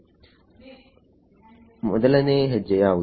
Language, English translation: Kannada, What is step 1